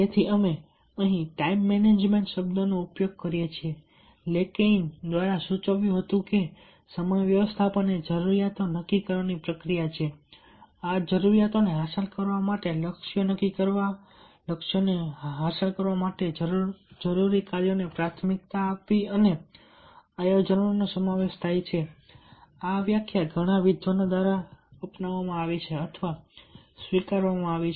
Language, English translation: Gujarati, therefore, we use the word time management lakein, who suggested that time management involves the process of determining needs, setting goals to achieve these needs, prioritizing and planning tasks require to achieve these goals, and this is the definition adopted by or accepted by many scholars on time management